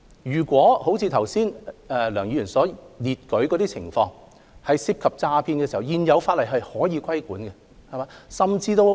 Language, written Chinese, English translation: Cantonese, 如果像梁議員剛才所述的情況般，即涉及詐騙時，現有法例是可以規管的。, If as relayed by Dr LEUNG fraud is suspected regulation is possible under the current legislation